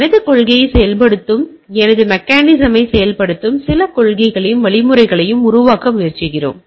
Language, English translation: Tamil, We try to make some policies and mechanisms which will enforce my mechanism which will enforce my policy